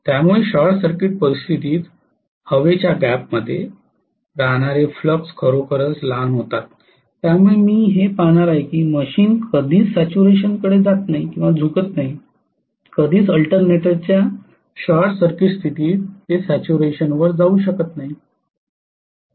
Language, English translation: Marathi, So under short circuit condition the flux that is remaining in the air gap becomes really really small because of which I am going to see that the machine never tends to saturation, never ever under short circuit condition of an alternator it will go to saturation